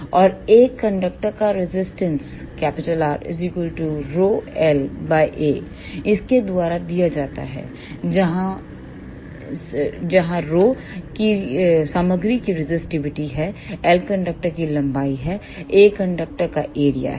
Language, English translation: Hindi, And the resistance of a conductor is given by R is equal to rho l by A, where rho is the resistivity of the material, l is the length of the conductor, A is the area of the conductor